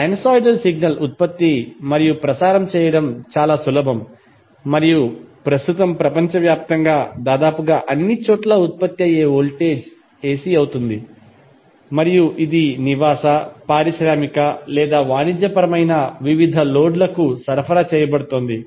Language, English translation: Telugu, Sinosoidal signal is very easy to generate and transmit and right now almost all part of the world the voltage which is generated is AC and it is being supplied to various loads that may be residential, industrial or commercial